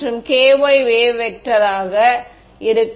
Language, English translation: Tamil, There will be a kx and a ky wave vector right